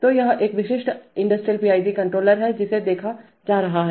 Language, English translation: Hindi, So this is a typical industrial PID controller having seen that